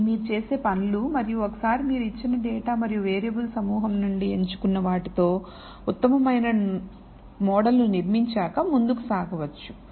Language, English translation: Telugu, So, these are the things that you would do and once you have built the best model that you can from the given data and the set of variables you have chosen then you proceed further